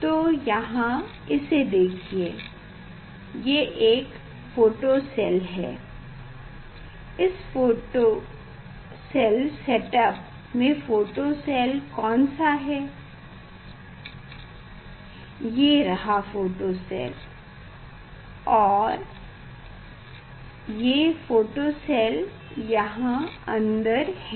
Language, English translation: Hindi, here, so this let us see which one is photocell, in this setup which one is photocell; this is photocell, so it is a photocell is inside inside this element is there